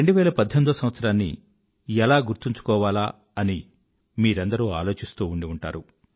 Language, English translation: Telugu, You must have wondered how to keep 2018 etched in your memory